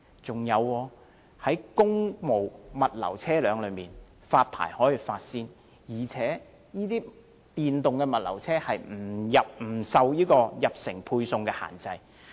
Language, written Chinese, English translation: Cantonese, 再者，公務物流車輛可獲優先發牌，而且電動物流車入城配送不受限制。, Furthermore priority will be given to issuing licences to government logistics vehicles and no restrictions will be imposed on electric logistics vehicles delivering goods in cities